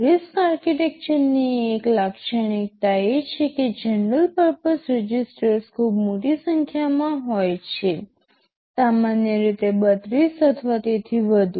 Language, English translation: Gujarati, Registers oneOne characteristic of RISC architecture is that there is a very large number of general purpose registers, typically 32 or more